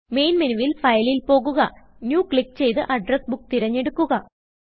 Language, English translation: Malayalam, From the Main menu, go to File, click New and select Address Book